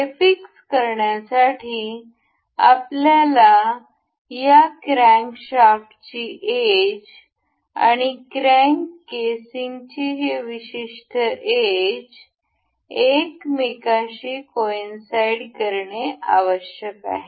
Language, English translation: Marathi, For the fixing this, we need to coincide the this edge of this crankshaft and the this particular edge of the crank casing to coincide with each other